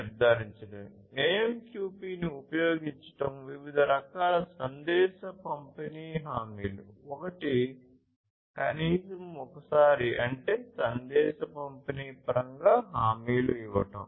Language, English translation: Telugu, The message delivery guarantees are of different types using AMQP: one is at least once; that means, offering guarantees in terms of message delivery